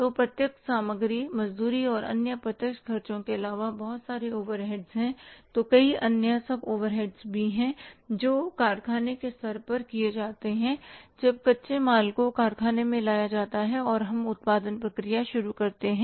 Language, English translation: Hindi, So there are so many overheads apart from the direct material wages and the other direct expenses, there are so many other overheads, the sub overheads which are incurred at the level of the factory when the raw material is taken to the factory and we start the production process